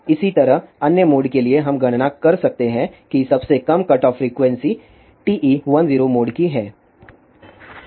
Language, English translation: Hindi, Similarly, for other mode, we can calculate in this the lowest cutoff frequency is of TE 1 0 mode